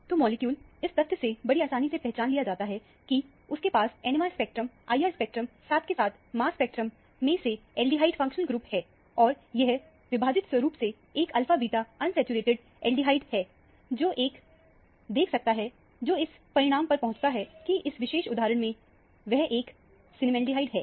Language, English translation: Hindi, So, the molecule is readily recognized from the fact that, you have an aldehyde functional group both in the proton NMR spectrum, IR spectrum as well as mass spectrum; and, that it is an alpha beta unsaturated aldehyde from the splitting pattern that one sees, which leads to the conclusion that, it is a cinnamaldehyde in this particular instance